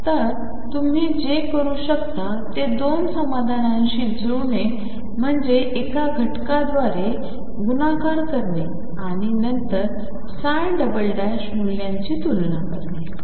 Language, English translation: Marathi, So, what you could do is match the 2 solutions was by multiplying by a factor and then compare the psi prime values